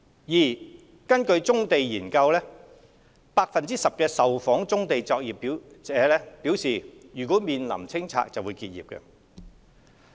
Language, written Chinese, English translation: Cantonese, 二根據《棕地研究》，10% 受訪棕地作業者表示若面臨清拆會結業。, 2 According to the Brownfield Study 10 % of the brownfield operator respondents said that they would terminate their businesses upon clearance